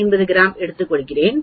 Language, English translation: Tamil, 5 grams do you understand